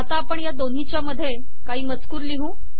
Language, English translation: Marathi, Now we want introduce some text between these two